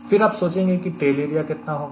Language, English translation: Hindi, then you ask a question: how much should be the tail area